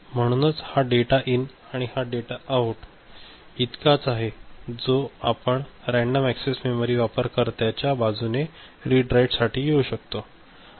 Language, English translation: Marathi, So, this is the data in and this is the data out that is as we said random access memory read write is possible at the user end